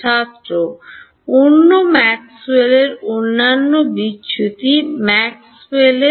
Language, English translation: Bengali, the other Maxwell’s the other divergence Maxwell’s